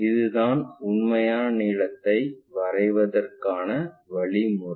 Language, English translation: Tamil, This is the way we construct this true length